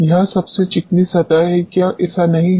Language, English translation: Hindi, It is the most smooth surface; is it not